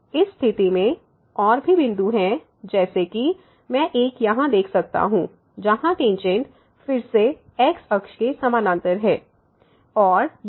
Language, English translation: Hindi, Indeed in this situation there are more points one I can see here where tangent is again parallel to the